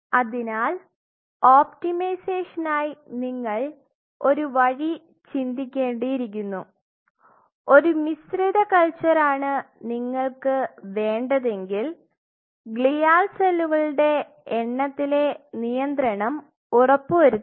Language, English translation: Malayalam, So, you have to think of an optimized way if you want to do a mixed culture that how you can ensure that the population of glial cells are kept at check, that they do not proliferate So much